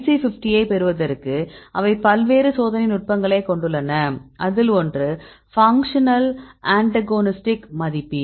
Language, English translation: Tamil, They have various experimental techniques used to get the IC50, one is the functional antagonist assay